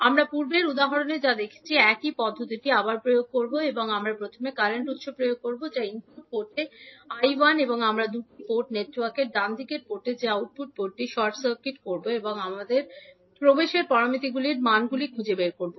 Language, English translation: Bengali, We will again apply the same procedure which we did in the previous example, we will first apply current source that is I 1 at the input port and we will short circuit the output port that is the right side port of the two port network and we will find out the values of admittance parameters